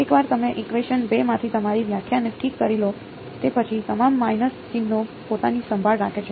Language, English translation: Gujarati, Once you choose once you fix your definition from equation 2, all the minus signs take care of themselves ok